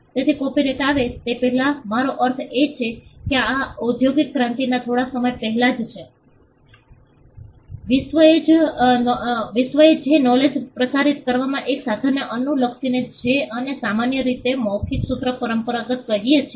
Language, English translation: Gujarati, So, before copyright came, I mean this is just before the industrial revolution, the world followed a means of transmitting knowledge what we commonly called the oral formulaic tradition